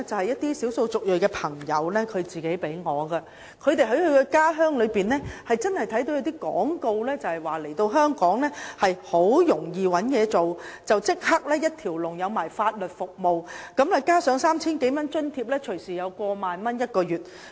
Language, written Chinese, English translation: Cantonese, 一些少數族裔朋友給我看他們在家鄉帶來的廣告單張，宣傳香港很容易找到工作，可獲得提供一條龍法律服務，加上有 3,000 多元生活津貼，每月隨時有超過1萬元收入。, Some ethnic minorities have shown me the advertising leaflets that they brought from their home countries which say that while it is very easy to find jobs in Hong Kong they can be provided with a package of legal services and a living allowance of more than 3,000 and they may thus earn more than 10,000 a month